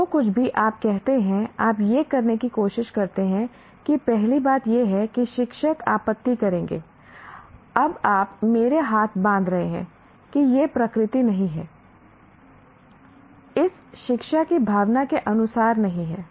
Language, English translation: Hindi, Anything that you say, you try to do this, the first thing is teachers will object, you are now tying my hand, that is not the nature, that is not as for the spirit of education